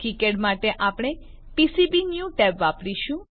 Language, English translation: Gujarati, For kicad we will use Pcbnew tab